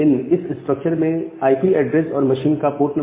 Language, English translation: Hindi, So, this structure contains the IP address and the port of the machine